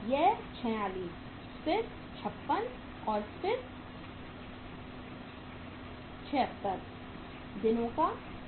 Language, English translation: Hindi, This works out as 46 then 56 and then it is 76 days